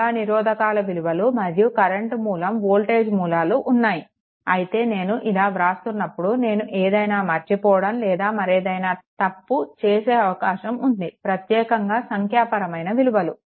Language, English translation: Telugu, So, many register values, then current source voltage source while I making write writing like this there is every possibility I can overlook or I can make some error also particular numerical value